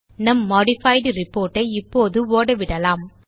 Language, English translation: Tamil, Okay, let us run our modified report now